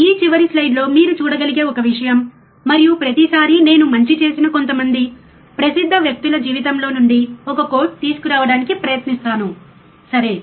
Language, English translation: Telugu, One thing that you can see on this last slide also and every time I will try to bring one quote from some famous guy who has done something good in his life, right